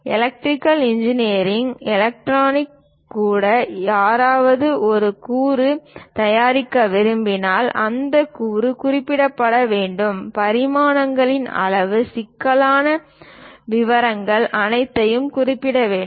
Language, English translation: Tamil, Even for electrical engineering electronics, if someone would like to manufacture a component that component has to be represented clearly, the dimensions, the size, what are the intricate details, everything has to be represented